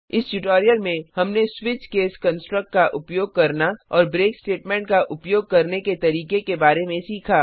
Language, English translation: Hindi, In this tutorial we have learnt how to use switch case construct and how to use break statement